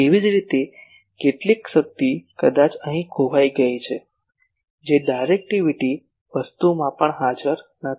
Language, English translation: Gujarati, Similarly, some power maybe lost here that is also not present in the directivity thing